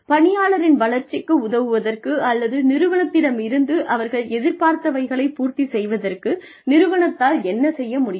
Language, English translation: Tamil, What the organization can do, in order to help the employee develop or have realistic expectations from the organization